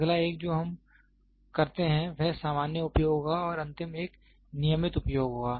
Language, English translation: Hindi, The next one will be the common use whatever we do and the last one will be the regular use